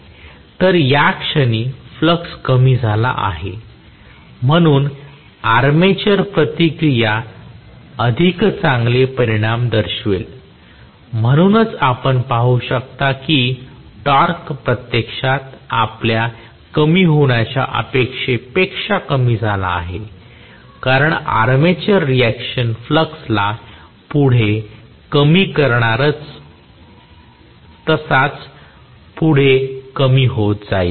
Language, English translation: Marathi, So, at this point flux is decreased so armature reaction will show stronger effects, so, you may see that the torque actually decreases more than what we anticipated to decrease because armature reaction is going to decrease the flux further and further as it is